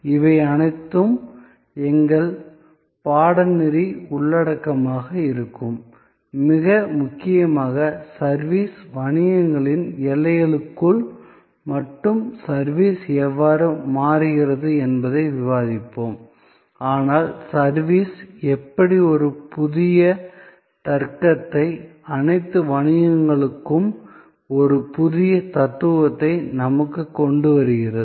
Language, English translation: Tamil, All these will be our course content and most importantly, we will discuss how service is changing not only within the boundary of the service businesses, but how service is bringing to us a new logic, a new philosophy for all businesses